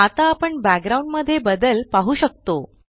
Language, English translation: Marathi, Now we can see the change in the background